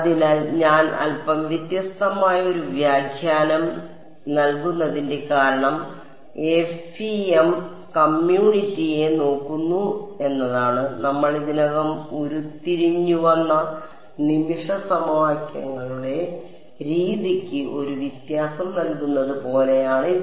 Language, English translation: Malayalam, So, the reason I am giving a slightly different interpretation is because the FEM community it looks; it is like giving a interpretation to the method of moments equations which we had already derived